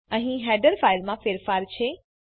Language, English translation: Gujarati, Theres a change in the header file